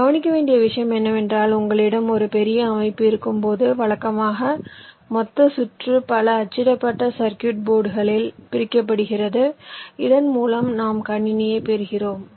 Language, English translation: Tamil, and the point to note is that when you have a large system, usually the total circuit is divided across a number of printed circuit boards, whereby we get the system